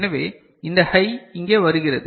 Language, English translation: Tamil, So, this high comes over here